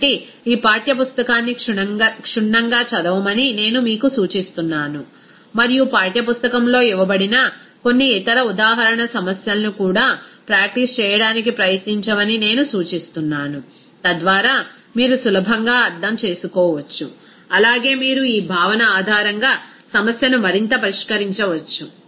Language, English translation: Telugu, So, I would suggest you to go this textbook thoroughly and also try to practice some other example problems given in the textbook, so that you can easily understand, also you can further solve the problem based on this concept there